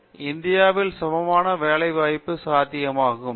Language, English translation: Tamil, Today equivalent employments are possible in India